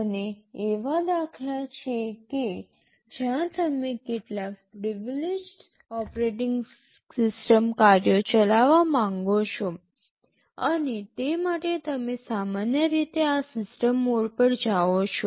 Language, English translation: Gujarati, And there are instances where you want to run some privileged operating system tasks, and for that you typically go to this system mode